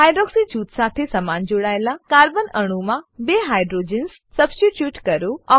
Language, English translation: Gujarati, Substitute two hydrogens attached to the same carbon atom with hydroxy group